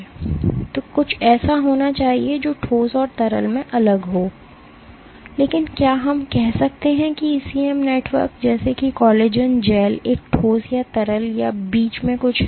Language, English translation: Hindi, So, there must be something which is different in the solid and the liquid, but can we say an ECM network like a collagen gel is a solid or a liquid or something in between